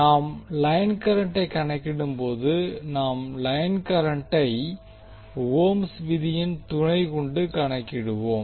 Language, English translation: Tamil, Now when we calculate the line current, we calculate the line current with the help of Ohm's law